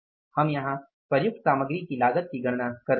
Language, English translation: Hindi, this is the cost we have calculated is the actual cost of the material used